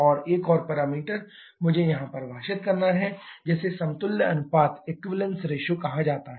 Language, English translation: Hindi, And another parameter I have to define here, that is called the equivalence ratio